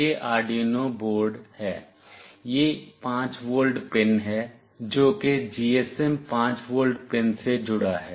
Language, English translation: Hindi, This is the Arduino Uno board, this is the 5 volt pin, which is connected to the GSM 5 volt pin